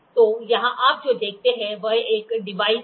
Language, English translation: Hindi, So, here you see here is a device